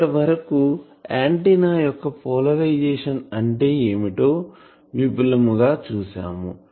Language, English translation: Telugu, What is the meaning of polarisation of the antenna